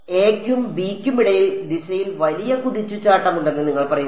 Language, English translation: Malayalam, You are saying that between a and b, there is a big jump in direction